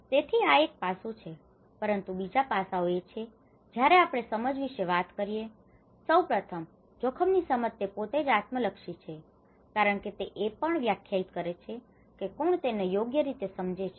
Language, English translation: Gujarati, So, this is of one aspect, but other aspects is when we talk about perceptions, first of all perception of a risk itself is a very subjective you know because it also defined from who is perceiving it right